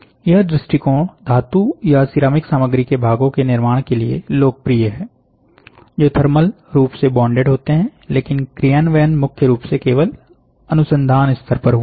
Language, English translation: Hindi, This approach is popular for construction of parts in metallic or ceramic materials that are thermally bonded, but implementation has primarily been at the research level only